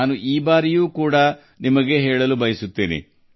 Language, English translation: Kannada, I want to tell you about this too